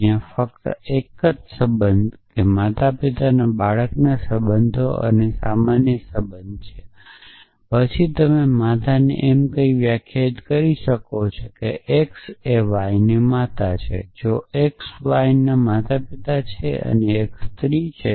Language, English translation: Gujarati, So, there is only 1 relation parent child relationship and general relationship then you can define a mother at saying that x is the mother of y if x is the parent of y and x is female